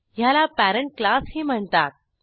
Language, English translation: Marathi, It is also called as parent class